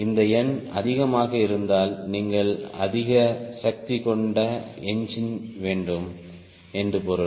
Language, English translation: Tamil, if this number is more, it means you need to high power engine